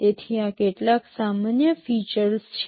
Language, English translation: Gujarati, So, these are some of the common features